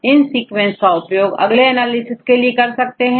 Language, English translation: Hindi, Then you can use the sequences for further analysis